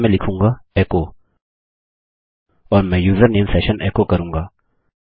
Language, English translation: Hindi, Here Ill say echo and Ill echo the username session, okay